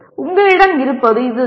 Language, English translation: Tamil, This is what you have